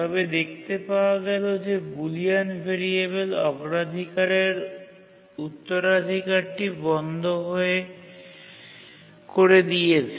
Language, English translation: Bengali, But then they found that the Boolean variable had set the priority inheritance off